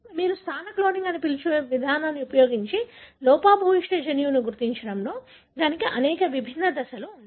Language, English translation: Telugu, So, these are the different steps in identifying the defective gene using the approach what you called as positional cloning